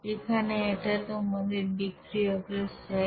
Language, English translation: Bengali, Here this is your reactant side